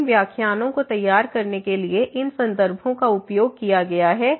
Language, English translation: Hindi, So, these are the references used for preparing these lectures and